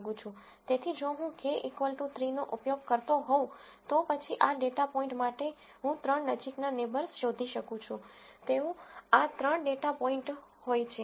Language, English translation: Gujarati, So, if I were to use k equal to 3, then for this data point I will find the three closest neighbors, they happen to be these three data points